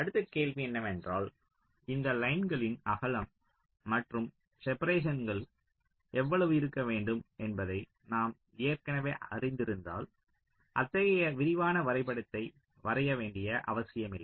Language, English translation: Tamil, now the next question is: if we already know how much should be the width and the separation of these lines, then we need not require to draw such elaborate diagram